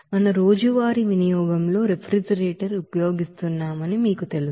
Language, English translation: Telugu, We know that we are using refrigerator in our daily use